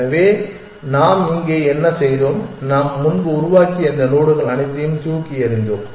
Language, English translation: Tamil, So, what have we done here we thrown away all this nodes that we have generated earlier